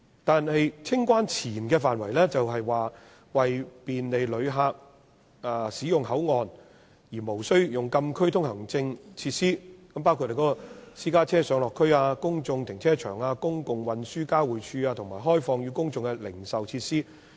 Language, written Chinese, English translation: Cantonese, 但是，清關前的範圍是為便利旅客使用口岸而無需用禁區通行證進入的設施，包括私家車上落區、公眾停車場、公共運輸交匯處及開放予公眾的零售設施。, This is mainly within the post - clearance area . Meanwhile the pre - clearance area is provided with facilities for public access without the need for a closed area permit such as the private car pick - updrop - off public car parks public transport interchange and publicly - accessible retail facilities